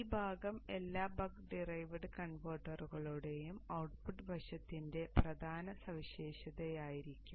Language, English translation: Malayalam, This portion will be the prominent feature of the output side of all bug derived converters